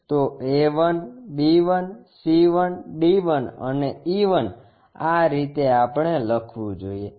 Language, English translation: Gujarati, So, a 1, b 1, c 1, d 1, and e 1 this is the way we should write it